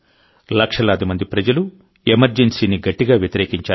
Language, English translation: Telugu, Lakhs of people opposed the emergency with full might